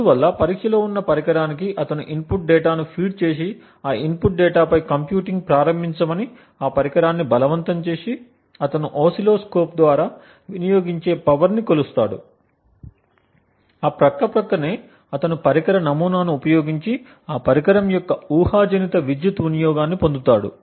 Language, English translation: Telugu, So, to the device under test once he feeds the input data and forces that device to start computing on that input data, he measures the power consumed through an oscilloscope, side by side he uses the device model to obtain what is known as a Hypothetical Power consumption of that device